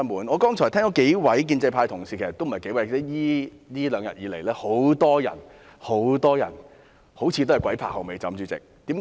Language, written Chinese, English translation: Cantonese, 我剛才聽到數位建制派同事——其實也不止數位——這兩天有很多、很多人似乎"鬼拍後尾枕"。, Just now I heard a few colleagues from the pro - establishment camp―actually more than a few―many colleagues have made a Freudian slip in the past couple of days